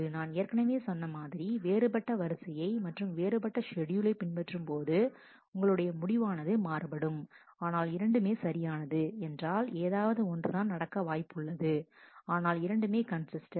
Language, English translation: Tamil, As I had mentioned earlier also, the different ordering different schedule might give you different results, but both of them are correct, because any one of them will happen, but both are consistent